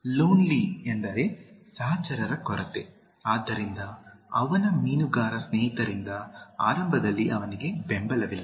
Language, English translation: Kannada, Lonely means lacking companions, so he is not at least initially supported by his fisherman friends